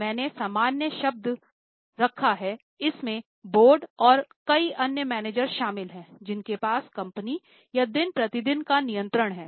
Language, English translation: Hindi, I have put the general term, it includes the board and also many other managers who have day to day control over the company